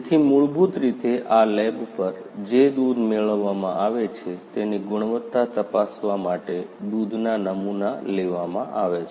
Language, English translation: Gujarati, So, basically after the milk sample is brought to this lab, the quality of the milk that is received is checked